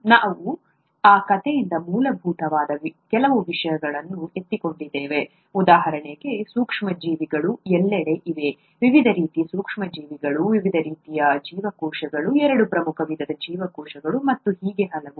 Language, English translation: Kannada, And we picked up a few things that are fundamental from that story, such as microorganisms are there everywhere, the various types of microorganisms, the various types of cells, the two major types of cells and so on